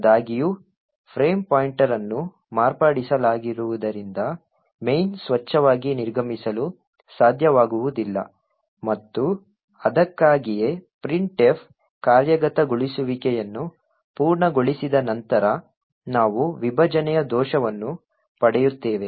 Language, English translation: Kannada, However since the frame pointer has been modified the main will not be able to exit cleanly and that is why we obtain a segmentation fault after the printf completes execution